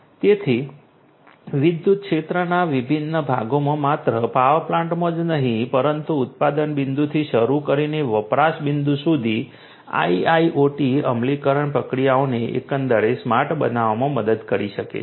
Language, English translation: Gujarati, So, IIoT in the electricity sector in different parts of the electricity sector not only in the power plants, but also in the different parts starting from the generation point till the consumption point IIoT implementation can help in making the processes the systems overall smart